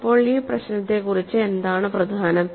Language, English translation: Malayalam, So, what is so important about this problem